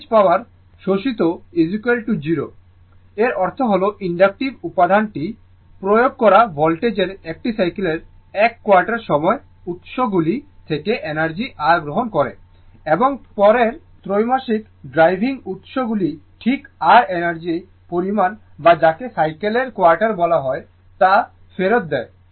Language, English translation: Bengali, The average power absorbed is equal to 0; that means, the implication is that the inductive element receives energy your from the sources during 1 quarter of a cycle of the applied voltage and returns your exactly the same amount of energy to the driving sources during the next quarter your what you call quarter of a cycle